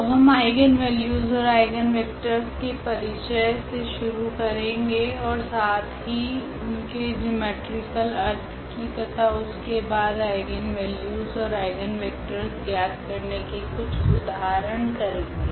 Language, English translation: Hindi, So, we will go through the introduction of these eigenvalues and eigenvectors and also their geometrical interpretation and, then some simple examples to evaluate eigenvalues and eigenvectors